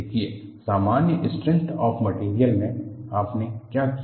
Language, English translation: Hindi, See, in the case of simple strength of materials, what did you do